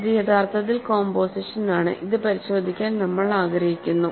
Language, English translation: Malayalam, This is actually composition, we want to check this